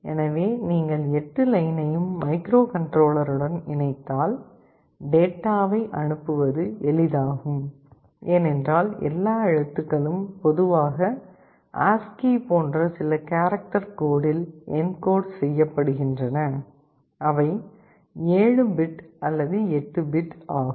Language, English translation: Tamil, So, if you connect all 8 of them to the microcontroller, it is easier to send the data, because all characters are typically encoded in some character code like ASCII, they are 7 bit or 8 bit